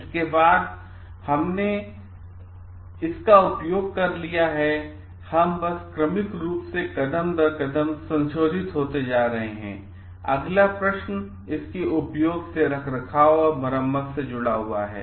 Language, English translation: Hindi, Next after we have used it, we are just going serially step by step modified after been using it next questions comes that of maintenance and repair